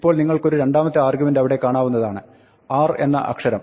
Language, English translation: Malayalam, Now, you see there is a second argument there, which is letter ‘r’